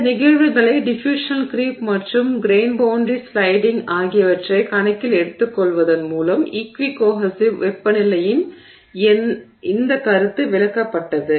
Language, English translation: Tamil, So, this concept of equi cohesive temperature was explained by taking these phenomena into account diffusion creep and grain boundary sliding